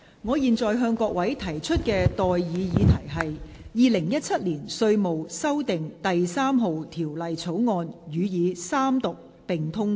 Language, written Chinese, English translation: Cantonese, 我現在向各位提出的待議議題是：《2017年稅務條例草案》予以三讀並通過。, I now propose the question to you and that is That the Inland Revenue Amendment No . 3 Bill 2017 be read the Third time and do pass